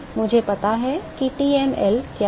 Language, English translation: Hindi, I know what is TmL